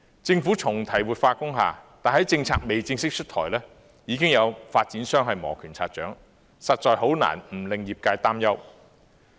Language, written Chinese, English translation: Cantonese, 政府重提活化工廈，但政策尚未正式出台，已經有發展商磨拳擦掌，實在很難不令業界擔憂。, The Government has revisited the revitalization of industrial buildings but while the policy has yet to be officially introduced some developers are eagerly waiting for action which the relevant sectors will find it difficult not to worry